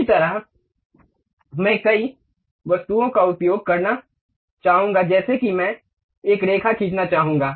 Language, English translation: Hindi, Similarly, I would like to use multiple objects something like a line I would like to draw